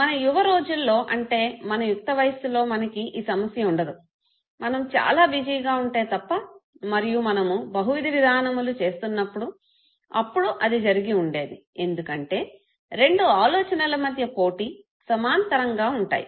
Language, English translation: Telugu, In our young days adulthood usually we do not have this type of problem, unless we are too busy and we are into multitasking then it might happen, because of competition between two thoughts which are going parallel